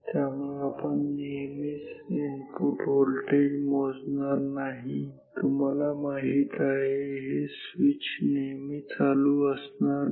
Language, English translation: Marathi, So, we are not measuring the input voltage always you know the switch is not always closed